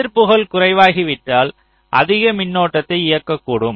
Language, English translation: Tamil, so if resistances becomes less, it can drive more current